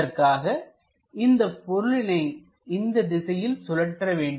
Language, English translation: Tamil, So, rotate that in that direction